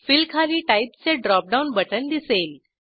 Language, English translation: Marathi, Under Fill, we can see Type drop down button